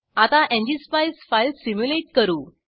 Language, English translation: Marathi, Now let us simulate the ngspice file